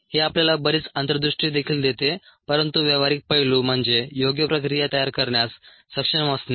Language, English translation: Marathi, it also gives us a lot of insights, but the practical aspect is to be able to design appropriate processes